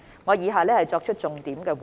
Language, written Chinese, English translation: Cantonese, 我作出以下重點回應。, I will give a focused response as follows